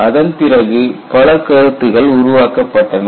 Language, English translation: Tamil, And if you look at many concepts have been developed